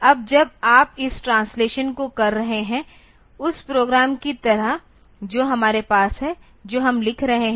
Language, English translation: Hindi, Now when you are doing this translation like the program that we have we are writing